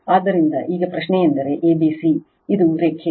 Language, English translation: Kannada, So, now question is that a b c this is a dash line